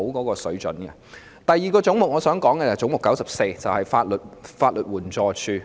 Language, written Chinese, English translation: Cantonese, 我想談論的第二個總目是 94， 即法律援助署。, The second head I wish to talk about is head 94 ie . the Legal Aid Department LAD